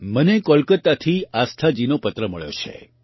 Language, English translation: Gujarati, I have received a letter from Aasthaji from Kolkata